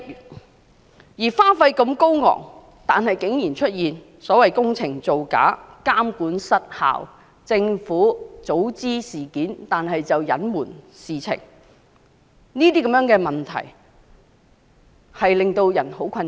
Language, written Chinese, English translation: Cantonese, 工程花費如此高昂，卻竟然出現工程造假、監管失效，政府早悉事件卻加以隱瞞等問題，令人感到十分困擾。, It is profoundly disturbing that having spent that much on the project we still cannot be spared such issues as falsifications in the construction process supervisory failure and concealment by the well - informed Government